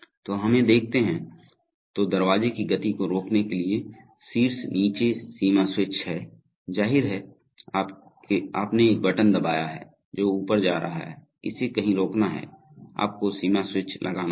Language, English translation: Hindi, So, let us look at, then there are top bottom limit switches to stop the motion of the door, obviously you have pressed a button it is going up, it has to stop somewhere, so you have to have limit switches